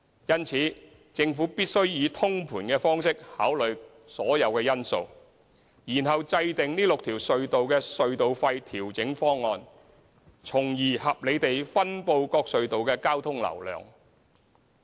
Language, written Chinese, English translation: Cantonese, 因此，政府必須以通盤方式考慮所有因素，然後制訂這6條隧道的隧道費調整方案，從而合理地分布各隧道的交通流量。, Hence the Government must consider all factors in a holistic manner and formulate the toll adjustment proposals for rationalizing the traffic distribution among the six tunnels